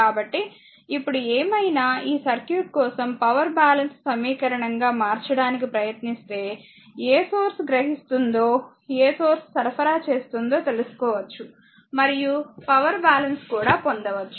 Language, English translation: Telugu, So, whatever it is now if you for this circuit if you knowing if you now try to make it the power balance equation that which source is observing power and which source is supplying power you can get the power balance also